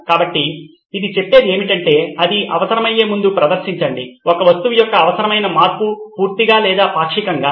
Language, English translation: Telugu, So what it says is that perform before it is needed, the required change of an object either fully or partially